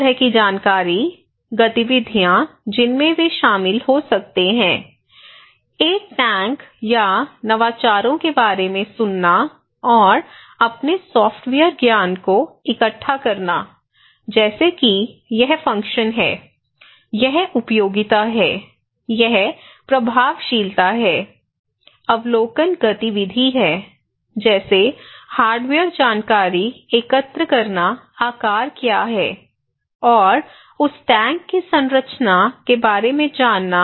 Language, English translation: Hindi, So, 3 kind of information, activities they can involve, one is hearing that is hearing about the tank or innovations and to collect its software knowledge like it’s function, it’s utilities, it’s effectiveness, another one is observations activity like collecting hardware information, what is the shape, size and structure of that tank